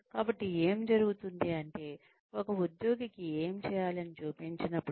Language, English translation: Telugu, So, what happens is that, when an employee is being shown, what needs to be done